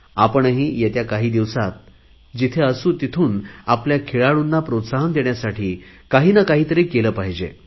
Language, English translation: Marathi, In the days to come, wherever we are, let us do our bit to encourage our sportspersons